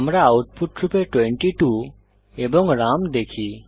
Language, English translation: Bengali, We see the output 22 and Ram